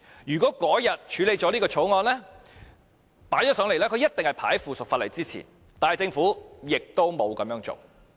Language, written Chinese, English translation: Cantonese, 如果當天將這項條例草案提交上來，它必定是排在附屬法例之前，但政府亦沒有這樣做。, Had the Bill been introduced into this Council that day it definitely would have precedence over the subsidiary legislation and yet the Government did not do so